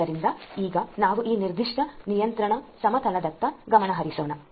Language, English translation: Kannada, So, let us now focus on this particular control plane